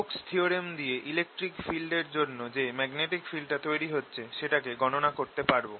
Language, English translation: Bengali, using stokes theorem, i can calculate the magnetic of the electric field